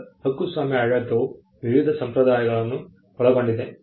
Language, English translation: Kannada, Now, copyright regime in itself comprises of various conventions